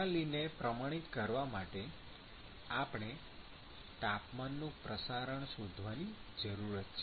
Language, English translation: Gujarati, So, in order to quantify the system, we need to find the temperature distribution